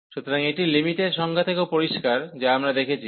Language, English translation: Bengali, So, this is also clear from the limit definition, which we have seen